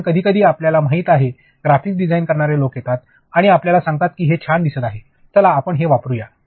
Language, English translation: Marathi, Because, you know sometimes graphic people they come and tell you this is looking cool let us just use this